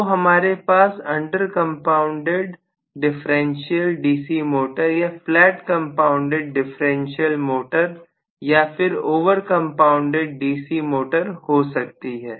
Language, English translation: Hindi, So, I can have again under compounded differential series, differential DC motor or flat compounded differential or I can have over compounded differential DC motor